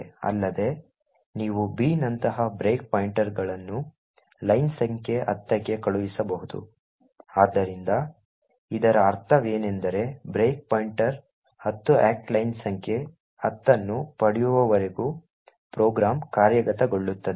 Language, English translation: Kannada, Also, you could send break points such as b to line number 10, so what this means is that the program will execute until the break point 10 act line number 10 is obtained